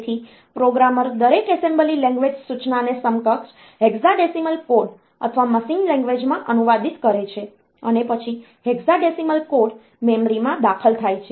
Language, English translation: Gujarati, So, the programmer translates each assembly language instruction into it is equivalent hexadecimal code or machine language, and then the hexadecimal code is entered into the memory